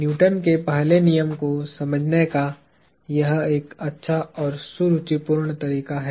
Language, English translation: Hindi, This is a nice and elegant way of understanding the Newton’s first law